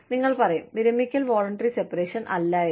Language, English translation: Malayalam, You will say, retirement is not a voluntary separation